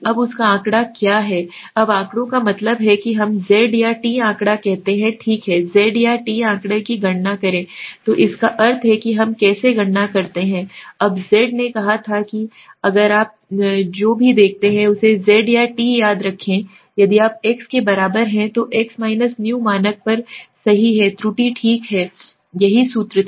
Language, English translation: Hindi, Now what is statistic her, now the statistics means we say the z or t statistic right, w calculate the z or t statistic, so that means and how do we calculate, now z had said if you remember z or t whatever if you see is equal to x which is the x right up on the standard error right this was the formula